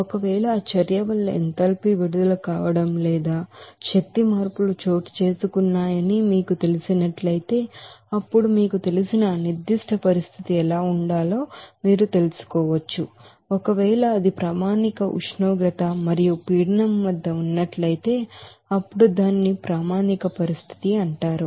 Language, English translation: Telugu, If you know that enthalpy released or energy changes caused by that reaction, then you can find out what should be the you know, formation of that particular you know condition like, if it is at a standard temperature and pressure then it will be called as standard condition